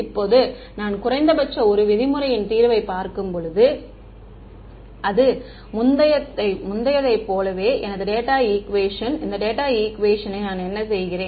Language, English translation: Tamil, Now, when I look at minimum 1 norm solution, so this is my data equation as before, in this data equation what am I doing